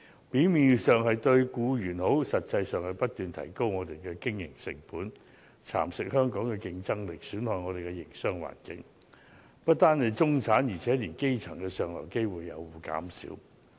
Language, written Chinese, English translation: Cantonese, 表面上，這些措施對僱員有好處，但實際上卻會不斷提高我們的經營成本、蠶食香港的競爭力、損害我們的營商環境，屆時不單中產，連基層的上流機會也會減少。, Superficially it will be good for employees to implement such measures but actually if we take these proposals on board operating costs will be ever on the rise Hong Kongs competitiveness will be eroded and our business environment will become increasingly difficult . By then not only the middle class but the grass roots will also be given fewer opportunities for upward mobility